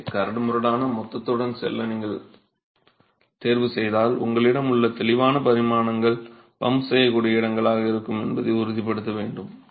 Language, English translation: Tamil, So if you choose to go with course aggregate you'll have to ensure that the clear dimensions that you have are going to be pumpable spaces